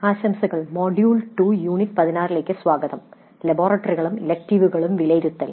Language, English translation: Malayalam, Greetings, welcome to module 2, unit 16 evaluating laboratory and electives